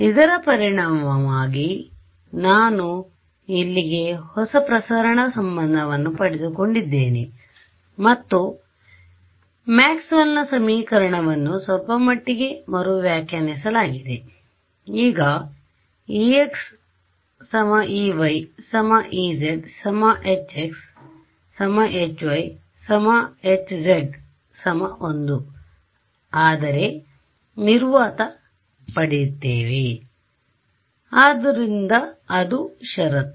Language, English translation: Kannada, As a result of which I got a new dispersion relation which is over here and Maxwell’s equations got redefined a little bit, the moment I put e x e y e z all of them equal to 1 I get back vacuum ok